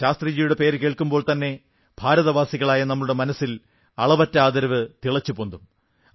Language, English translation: Malayalam, The very name of Shastriji evokes a feeling of eternal faith in the hearts of us, Indians